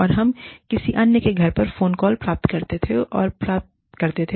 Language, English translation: Hindi, And, we would go and receive phone calls, at somebody else's house